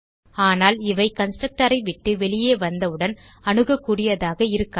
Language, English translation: Tamil, But once they come out of the constructor, it is not accessible